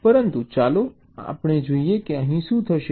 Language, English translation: Gujarati, but lets see what will happen here